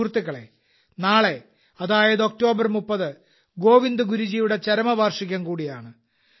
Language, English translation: Malayalam, the 30th of October is also the death anniversary of Govind Guru Ji